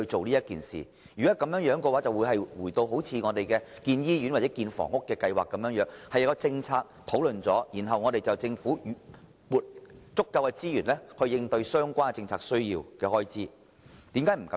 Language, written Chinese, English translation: Cantonese, 如果是這樣的話，我們便可以像興建醫院或房屋的計劃一樣進行討論，然後由政府撥出足夠的資源應付有關政策的所需開支。, If it has done so we might discuss the proposal in the same way as the plans for hospital or housing development and then secure sufficient resources from the Government to meet the expenditure arising from the relevant policy